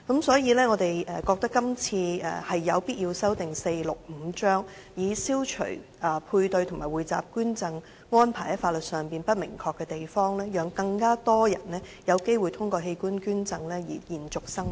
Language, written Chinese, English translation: Cantonese, 所以，我們覺得有必要修訂第465章，以消除配對和匯集捐贈安排在法律上不明確的地方，讓更多人有機會透過器官捐贈延續生命。, We thus hold that it is necessary to amend Cap . 465 to remove the legal ambiguities surrounding paired or pooled donation arrangements so as to let more people have the opportunity to live on through organ donations